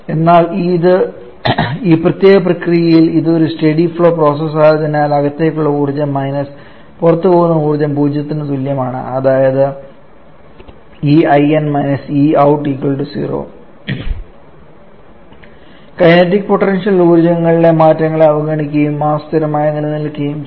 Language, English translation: Malayalam, But during this particular process this being a steady flow process so we can easily write that the entropy coming in minus entropyenergy coming in minus energy going out as to be equal to 0 that is neglecting the changes in kinetic and potential energies and also assuming mass to be remaining constant